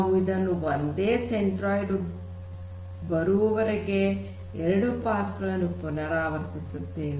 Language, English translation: Kannada, We repeat until for two passes we get the same centroid